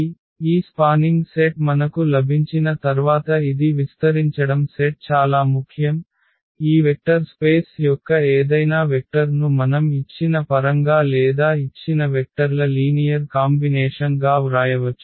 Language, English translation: Telugu, So, this is spanning set is very important once we have this spanning set basically we can write down any vector of that vector space in terms of these given or as a linear combination of these given vectors